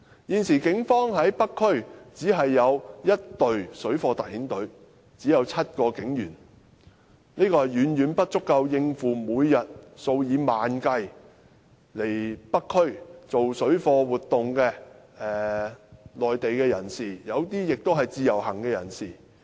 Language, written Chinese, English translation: Cantonese, 現時警方在北區只有1隊由7名警員組成的水貨特遣隊，這是遠遠不足以應付每天數以萬計到北區進行水貨活動的內地人士，當中有部分是自由行人士。, At present the North District is provided with only one police task force comprising seven police officers to deal with parallel traders . This is far from adequate to deal with the numerous Mainland people doing parallel trade in the district every day some of whom are Individual Visit Scheme visitors